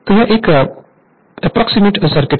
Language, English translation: Hindi, So, this is your approximate circuit